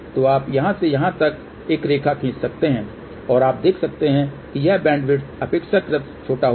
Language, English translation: Hindi, So, you can draw a line from here to here and you can see that this bandwidth will be relatively small